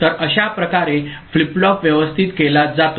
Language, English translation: Marathi, So, this is the way the flip flop is arranged ok